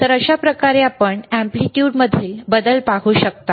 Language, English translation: Marathi, So, this is how you can see the change in the amplitude,